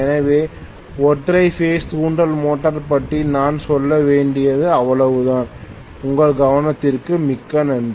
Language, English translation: Tamil, So that is all I have to say about the single phase induction motor and thank you very much for your attention